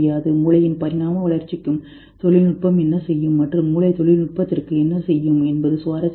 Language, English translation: Tamil, It is interesting to see what technology will do to the evolution of the brain and what brain does to the technology